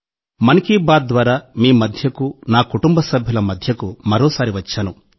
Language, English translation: Telugu, And today, with ‘Mann Ki Baat’, I am again present amongst you